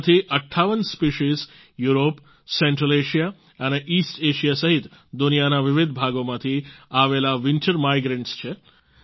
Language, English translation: Gujarati, And of these, 58 species happen to be winter migrants from different parts of the world including Europe, Central Asia and East Asia